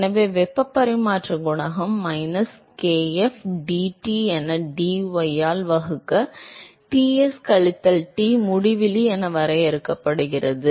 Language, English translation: Tamil, So, heat transfer coefficient is defined as minus kf, dT by dy divided by Ts minus Tinfinity